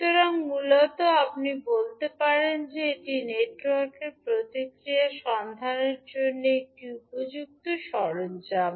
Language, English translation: Bengali, So, basically you can say that this is a fitting tool for finding the network response